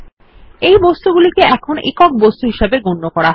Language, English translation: Bengali, These objects are now treated as a single unit